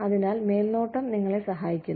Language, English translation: Malayalam, So, the supervision helps you